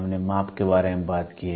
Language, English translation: Hindi, We have talked about measurement